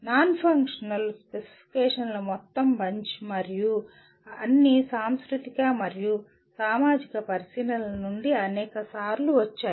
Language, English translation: Telugu, The whole bunch of non functional specifications and they will all come from let us say the many times they come from cultural and societal considerations